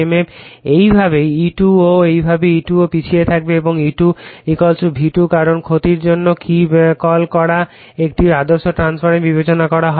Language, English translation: Bengali, Similarly, E2 also will be the same way E2 also will be lagging and E2 = V2 because loss your what you call we are we have considering an ideal transformer right